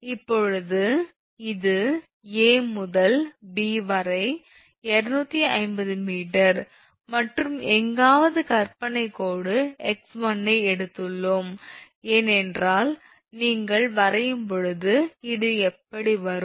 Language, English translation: Tamil, Now, this from here to here A to B 250 meter and we have taken somewhere dashed line imaginary one that is your x 1, because it will when you draw it will come like this